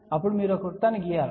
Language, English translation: Telugu, Now, you draw a circle